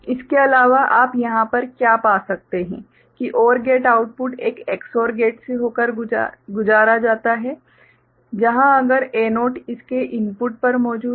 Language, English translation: Hindi, In addition, what you can find over here that the OR gate output is passed through an Ex OR gate where if a 0 is present at its input